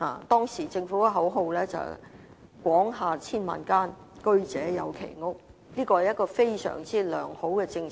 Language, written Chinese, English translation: Cantonese, 當時政府的口號是"廣廈千萬間，居者有其屋"，這確是一項相當良好的政策。, At that time the slogan of the Government was Homes for a Million and this was truly a very good policy